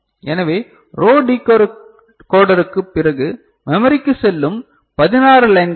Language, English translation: Tamil, So, these are the 16 lines that are going to the memory after the row decoder